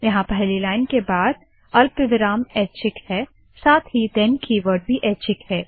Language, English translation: Hindi, Here the comma after the first line is optional, Also the then keyword is optional